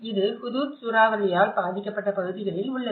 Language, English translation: Tamil, This is on the Hudhud cyclone affected areas